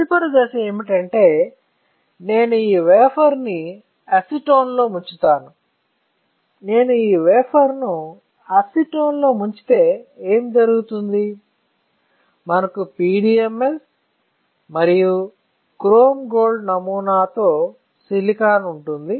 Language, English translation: Telugu, Next step would be, I will dip this wafer in acetone; if I dip this wafer in acetone what will happen, we will have silicon with PDMS and chrome gold pattern, is not it, chrome gold pattern